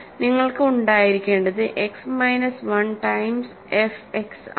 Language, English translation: Malayalam, So, what you will have is X minus 1 times f X is this